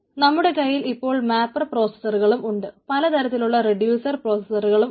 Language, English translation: Malayalam, so what we are having now there are different mapper processors like and there is a different reducer processor